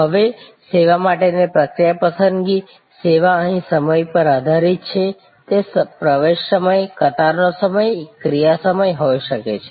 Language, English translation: Gujarati, Now, process selection for service, service is based on time here, it can be access time, queue time, action time